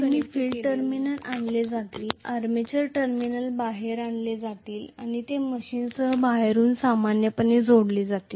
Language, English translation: Marathi, So, always the field terminals will be brought out, armature terminals will be brought out and they will be connected external to the machine normally